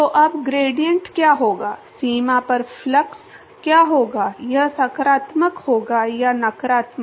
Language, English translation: Hindi, So, now, what will be the gradient, what will be the flux at the boundary, will it be positive or negative